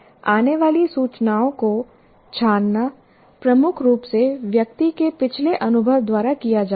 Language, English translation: Hindi, The filtering of incoming information is dominated, dominantly done by past experience of the individual